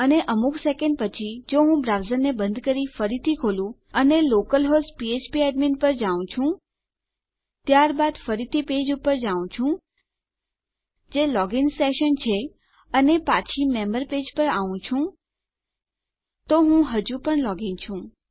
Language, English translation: Gujarati, And in some second starts if I close my browser and reopen it and I go to local host php academy then go back to my page which is the login session and back to my member page Im still logged in